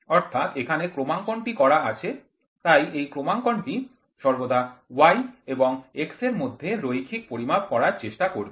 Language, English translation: Bengali, So, here is the calibration so, this calibration will always try to take measurements in the linear between y and x